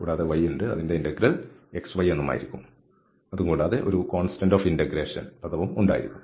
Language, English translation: Malayalam, So, we have x square and then y that will be x y and plus some this constant of integration term with what we use